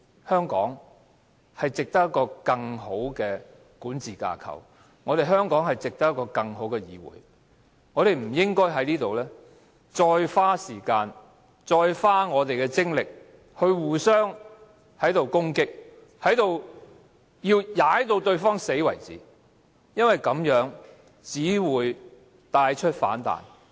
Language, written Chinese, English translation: Cantonese, 香港值得有一個更好的管治架構、香港值得有一個更好的議會，我們不應該在此再花時間和精力互相攻擊，直至把對方踩死為止，因為這樣做只會造成反彈。, Hong Kong deserves a better governance system . Hong Kong deserves a better legislature . We should not waste time and energy to attack and stamp on each other until our opponents are completely knocked down because that will only lead to negative reaction